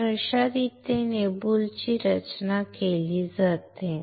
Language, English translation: Marathi, So, this is how the boule is fabricated